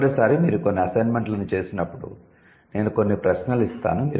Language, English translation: Telugu, So, next time when you do some assignments or I will give you some questions, you should keep that in mind